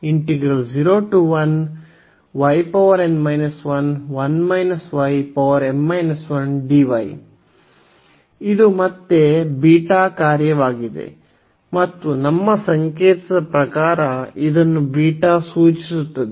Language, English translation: Kannada, So, this is the again the beta function and which as per our notation this will be denoted by beta